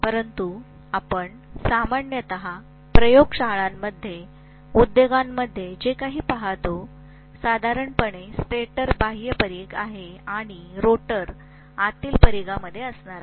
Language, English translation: Marathi, But whatever we normally see in the laboratories, see in the industries, normally the stator is outer periphery and rotor is going to be in the inner periphery